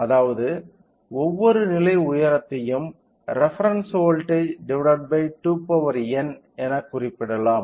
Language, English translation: Tamil, That means, each level height can be represented with reference voltage divided by 2 power n